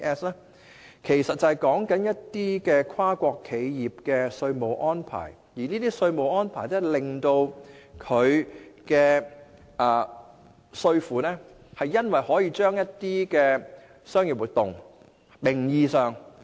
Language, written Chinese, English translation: Cantonese, 這其實是指跨國企業的稅務安排，即企業可安排在低稅率的區域進行一些名義上的商業活動。, Actually BEPS refers to the taxation strategies of multinational enterprises meaning that such enterprises can make arrangements to conduct nominal commercial activities in low - tax locations